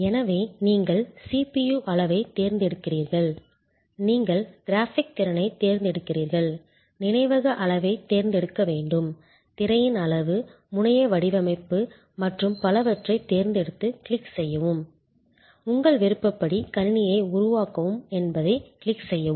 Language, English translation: Tamil, So, you select the CPU size, you select the kind of graphic capability, you need select the memory size, you select the screen size, the terminal design and so on and you click, click, click, click create the computer to your choice